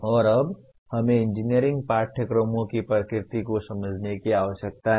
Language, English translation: Hindi, And now we need to understand the nature of engineering courses